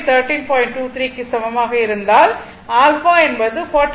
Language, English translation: Tamil, So, this is alpha is equal to 40